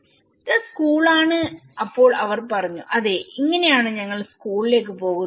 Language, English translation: Malayalam, this is school then they said yeah this is how we travel to the school